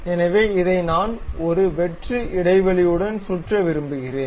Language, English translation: Tamil, So, this one I would like to really revolve around that with a hollow gap